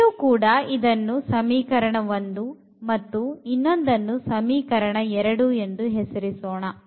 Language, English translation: Kannada, So, this is equation number 1 and then we have an equation number 2 here